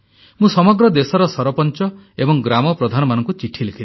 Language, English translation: Odia, I wrote a letter to the Sarpanchs and Gram Pradhans across the country